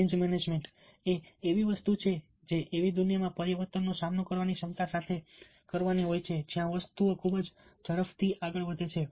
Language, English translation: Gujarati, change management is something which has to do a with a ability to cope with change in the world where things move very fast